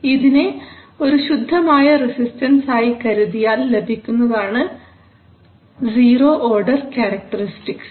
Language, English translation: Malayalam, That you can just assume it to be a to be a pure resistance and then you have what is known as a zero order characteristics